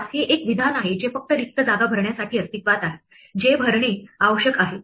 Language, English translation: Marathi, Pass is a statement which exists only to fill up spaces which need to be filled up